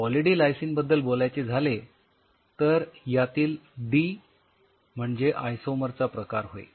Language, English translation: Marathi, So, talking about Poly D Lysine D is the isomer type and lysine as you know is an amino acid